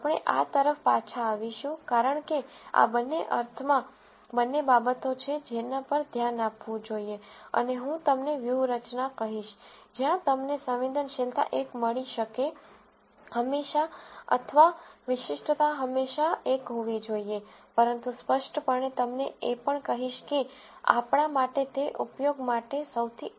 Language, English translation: Gujarati, We will come back to this, be cause these are in some sense both things that we should look at and I will tell you strategies, where, you can get sensitivity be 1 always or specificity to be 1 always, but clearly, will also tell you that those will not be the most effective classifiers for us to use